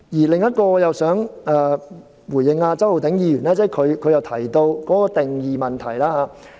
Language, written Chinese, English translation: Cantonese, 另外，我也想回應周浩鼎議員提到定義的問題。, Moreover I also wish to respond to the point on the definition mentioned by Mr Holden CHOW